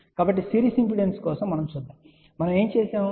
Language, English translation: Telugu, So, let us see for the series impedance, what we had seen